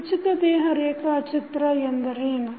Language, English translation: Kannada, What is free body diagram